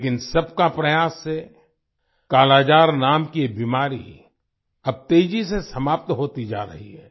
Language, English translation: Hindi, But with everyone's efforts, this disease named 'Kala Azar' is now getting eradicated rapidly